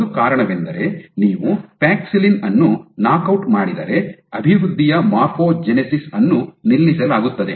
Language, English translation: Kannada, And one of the reasons being that if you knockout paxillin then morphogenesis on development is stopped